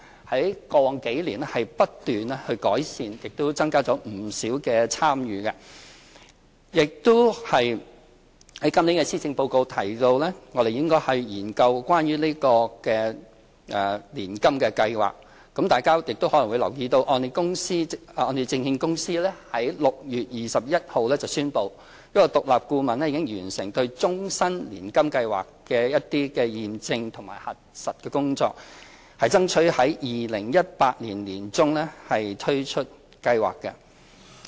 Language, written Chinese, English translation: Cantonese, 在過往數年，不斷改善，亦增加了不少參與；在今年的施政報告提到我們應該研究年金計劃，大家亦可能留意到香港按揭證券有限公司在6月21日宣布，獨立顧問已完成對終身年金計劃的驗證和核實工作，並爭取在2018年年中推出計劃。, The Programme has improved constantly over the last few years and the number of participants has noticeably increased . While the Policy Address this year has suggested that we should study the feasibility of a public annuity scheme as Members may have noted HKMC announced on 21 June that the independent consultant completed verifying and validating the Life Annuity Scheme and that it would strive to launch the Scheme by mid - 2018